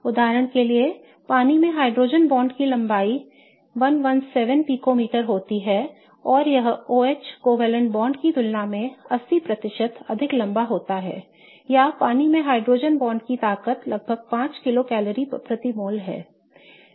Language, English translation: Hindi, Or the strength of hydrogen bond in water is approximately 5 kilo calories per mole but the strength of the OH covalent bond in water is 118 kilo calories per mole